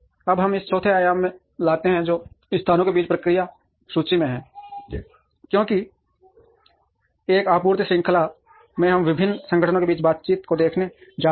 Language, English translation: Hindi, Now, we bring in a fourth dimension which is in process inventory between locations, because in a supply chain we are going to look at interactions between various organizations